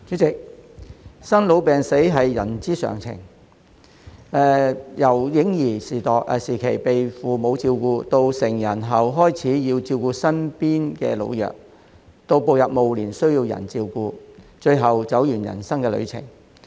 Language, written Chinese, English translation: Cantonese, 代理主席，生老病死是人之常情，由嬰兒時期被父母照顧，到成人後開始要照顧身邊的老弱，到步入暮年需要人照顧，最後走完人生旅程。, Deputy President birth ageing illness and death are only natural in life . Babies are taken care of by their parents; after becoming adults they start to take care of the elderly and the weak around them . Upon entering their twilight years they need to be cared for by others before finally completing their journeys of life